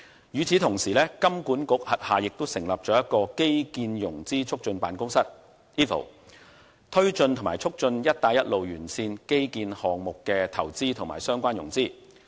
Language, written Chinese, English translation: Cantonese, 與此同時，金管局轄下成立了一個基建融資促進辦公室，推動和促進"一帶一路"沿線基建項目的投資和相關融資。, At the same time the Infrastructure Financing Facilitation Office was established under the Hong Kong Monetary Authority to drive and promote investment and financing plans relating to infrastructure projects along Belt and Road countries